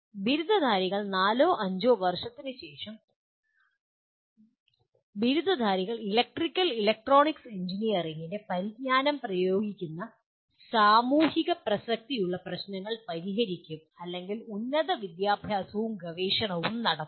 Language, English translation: Malayalam, The graduates, graduates after four to five years will be solving problems of social relevance applying the knowledge of Electrical and Electronics Engineering and or pursue higher education and research